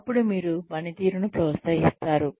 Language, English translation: Telugu, Then, you encourage performance